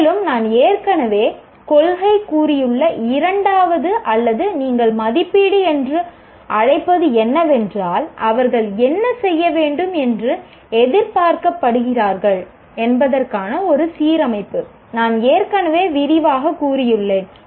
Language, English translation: Tamil, And the second one which I have already stated, a principle or whatever you call, assessment is in alignment with what they are expected to do, which I have already elaborated